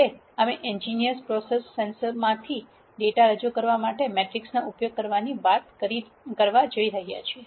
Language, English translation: Gujarati, Now, we have been talking about using matrices to represent data from en gineering processes sensors and so on